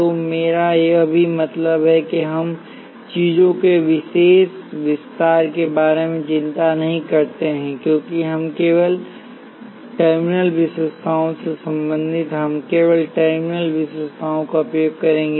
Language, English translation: Hindi, So, this is what I also meant by we do not worry about special extension of things because we are concerned only with terminal characteristics, we will use only the terminal characteristics